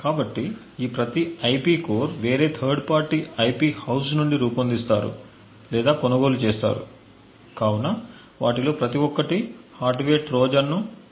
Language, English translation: Telugu, So, each of these IP cores is designed or purchased from a different third party IP house and each of them could potentially insert a hardware Trojan